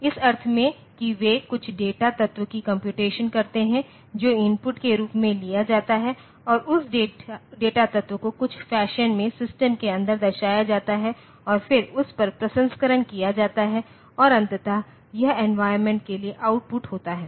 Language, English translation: Hindi, In the sense, that they perform computation over some data element that is taken as a input and that data element is represented inside the system in some fashion and then processing is done over that and ultimately it is output to the to the environment